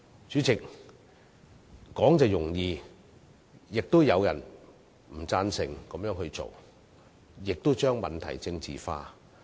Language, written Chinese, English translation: Cantonese, 主席，說易行難，但亦有人反對這樣做，將問題政治化。, President it is always easier said than done . There are some people who oppose these suggestions and politicize the issue